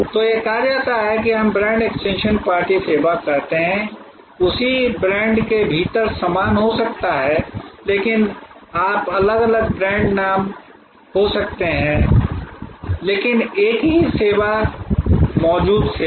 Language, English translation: Hindi, So, that is say kind of what we call brand extension party service, there can be with the same within the same brand, but you that can be different brand names, but same service existing service